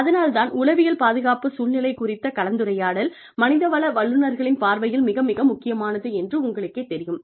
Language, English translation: Tamil, So, you know, so, that is why, a discussion on psychological safety climate, is very, very, important, from the perspective of the, human resources professionals